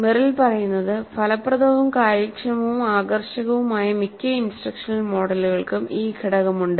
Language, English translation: Malayalam, What Merrill says is that most of the instructional models that are effective, efficient and engaging have this component